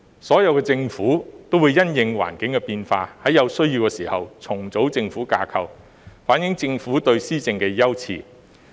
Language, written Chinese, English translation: Cantonese, 所有政府也會因應環境的變化，在有需要時重組政府架構，反映政府對施政的優次。, In response to changes in the environment all governments will reorganize the government structures where necessary to reflect their priorities in governance